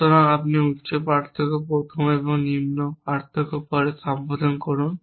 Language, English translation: Bengali, So, you address higher difference is first and the lower difference is later